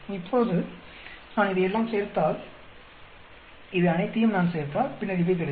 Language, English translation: Tamil, Now, if I add up all this, and if I add up all these, and then I get these